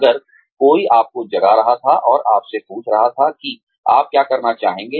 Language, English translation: Hindi, If, somebody were to wake you up, and ask you, what you want to do